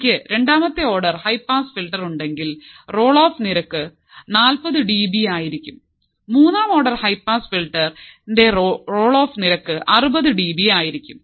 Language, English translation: Malayalam, If I have second order high pass filter, then the roll off rate would be 40 dB, third order high pass filter my role off rate would be 60 dB